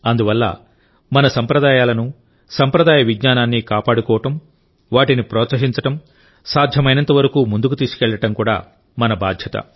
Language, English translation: Telugu, Therefore, it is also our responsibility to preserve our traditions and traditional knowledge, to promote it and to take it forward as much as possible